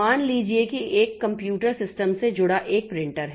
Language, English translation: Hindi, Suppose there is a printer connected to a computer system